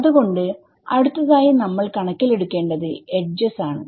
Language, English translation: Malayalam, So, the next thing to take into account is the edge the edges right